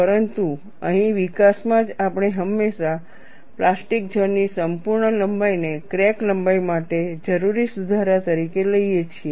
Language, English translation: Gujarati, But here in the development itself, we always take the complete length of the plastic zone as a correction required for the crack length